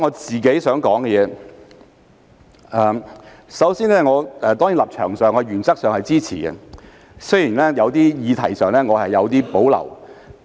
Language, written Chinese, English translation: Cantonese, 主席，我的立場是我原則上支持《條例草案》，雖然我對有些議題有所保留。, President my position is that I support the Bill in principle though I have reservations about some issues